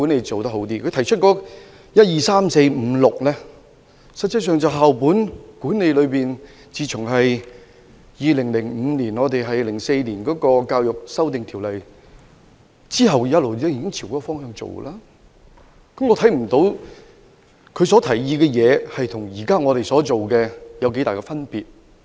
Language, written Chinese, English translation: Cantonese, 他在原議案提出的第一至第六點，實際上就是自2005年起根據《2004年教育條例》實施校本管理以來的做法，我不認為他的建議與現時的做法有很大差別。, However points 1 to 6 in his original motion are actually the practices adopted for the implementation of school - based management under the Education Amendment Ordinance 2004 since 2005 . I do not think there is much difference between his proposals and the current practices